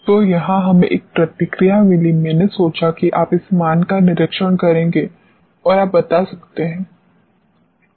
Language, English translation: Hindi, So, this is where we got one response, I thought you would observe this value and you can tell